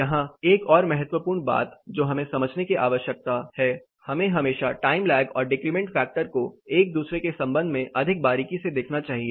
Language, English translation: Hindi, Here another important thing that we need to understand; we have to always look at time lag and decrement factor more closely with respect to each other